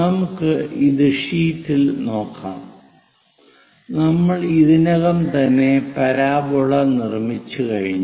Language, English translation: Malayalam, Let us look at this sheet; we have already constructed the parabola this one